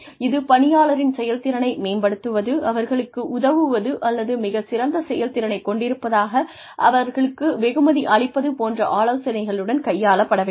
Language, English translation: Tamil, it should be taken on, with the idea of either helping, improve employee's performance, or rewarding them for excellent performance